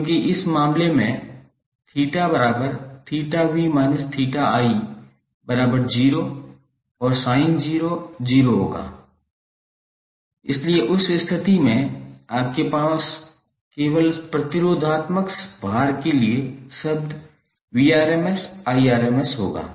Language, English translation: Hindi, Because in this case theta v minus theta i will become 0 and sin 0 will be 0, so in that case you will have Vrms Irms only the term for purely resistive load